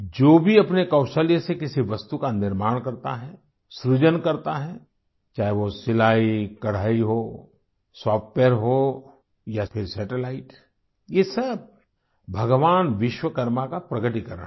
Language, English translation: Hindi, innovates… whether it is sewingembroidery, software or satellite, all this is a manifestation of Bhagwan Vishwakarma